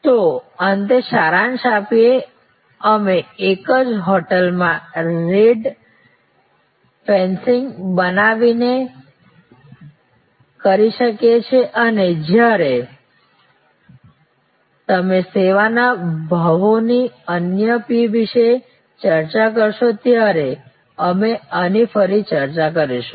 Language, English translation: Gujarati, So, let us summaries we can therefore, in the same hotel by creating rate fencing and we will discuss this again when you discuss service pricing the other P